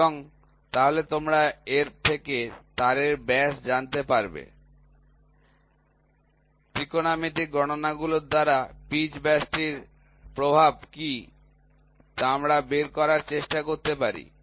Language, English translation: Bengali, And, then you know thus the wire diameter from this by trigonometrical calculations we can try to figure out, what is the effect pitch diameter